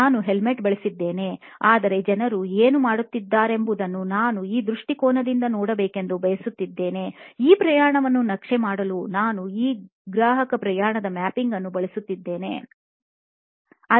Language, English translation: Kannada, I use to wear a helmet, but what is it that people are going through I wanted to look at it from this perspective and I use this customer journey mapping to map that journey that somebody is going through